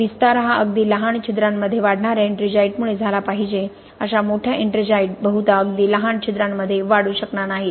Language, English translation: Marathi, The expansion should be caused by ettringite that is actually growing within very small pores, such large ettringite probably will not be able to grow in very small pores